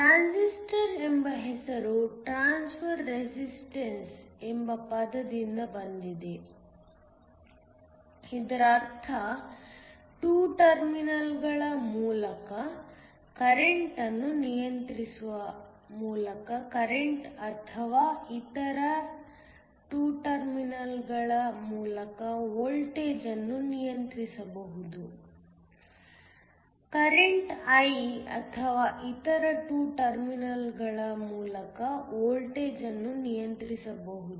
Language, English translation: Kannada, The name Transistor comes from the term transfer resistance, this means that the current through 2 terminals can be controlled by controlling the current or the voltage through other 2 terminals, controlled by either the current I or the voltage through the other 2 terminals